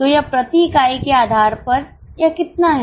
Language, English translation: Hindi, So, how much it is on a per unit basis